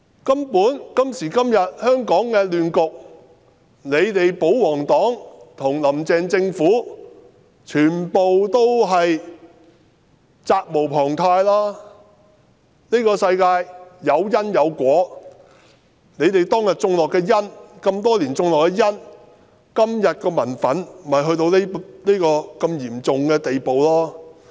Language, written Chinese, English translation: Cantonese, "根本香港今時今日發展至這亂局，保皇黨和"林鄭"政府全部責無旁貸，這個世界有因便有果，他們在這麼多年種下的因，令今天的民憤到了如此嚴重的地步。, As a matter of fact the pro - Government camp and the Carrie LAM Administration cannot shirk their responsibility for Hong Kongs degeneration into the present chaotic state . What goes around comes around . What they have done over the years has sown the seeds of such great public wrath today